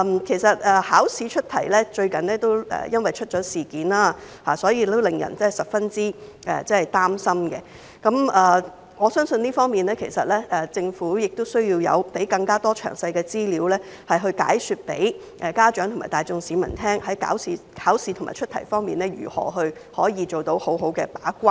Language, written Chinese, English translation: Cantonese, 最近考試出題出現了問題，令人十分擔心。在這方面，我相信政府亦需要提供更多詳細資料，向家長及市民大眾解說在考試和出題方面如何可以做到好好的把關。, With the recent problems with the setting of examination questions which are highly worrying I believe that the Government also needs to provide parents and the general public with more detailed information on how to do proper gatekeeping in examination and question setting